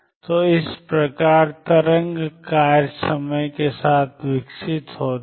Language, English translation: Hindi, So, this is how wave functions evolve in time